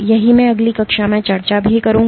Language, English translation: Hindi, That is what I will discuss in next class